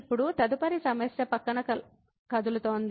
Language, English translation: Telugu, Now, moving next to the next problem